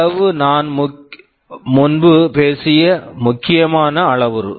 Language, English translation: Tamil, Size is an important parameter I talked earlier